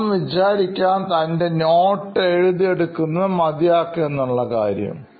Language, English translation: Malayalam, So what would be Sam doing after he completes taking down his notes, probably